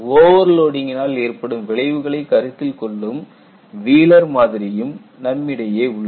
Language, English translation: Tamil, You have a Wheelers model, which accounts for the effect of overload